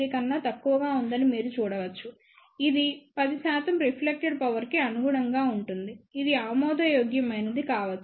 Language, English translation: Telugu, 3 which corresponds to reflected power of about 10 percent which may be acceptable